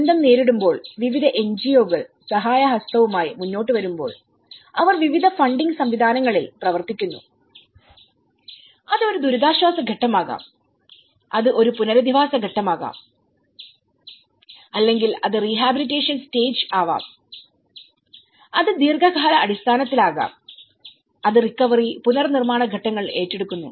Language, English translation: Malayalam, When the disaster strikes different NGOs comes forward for a helping hand and they work on you know, different funding mechanisms and it could be a relief stage, it could be a rehabilitation stage or it could be in a long run it will take up to the recovery and reconstruction stages